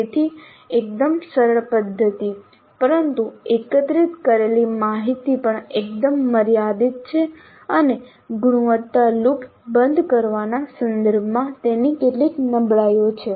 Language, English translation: Gujarati, So fairly simple method but the information gathered is also quite limited and it has certain weaknesses with respect to closing the quality loop